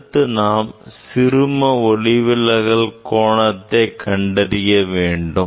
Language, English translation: Tamil, then next we will measure the minimum deviation angle of minimum deviation